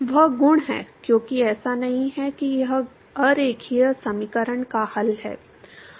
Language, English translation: Hindi, That is the property, because not that this is the solution of non linear equation